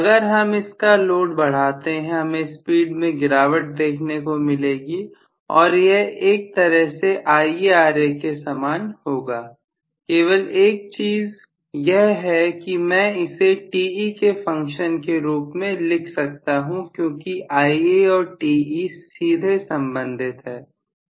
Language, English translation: Hindi, So as I load it more and more I am going to have a drop in the speed and this actually is in one sense similar to IaRa, only thing is I can write this as a function of Te because Ia and Te are directly related right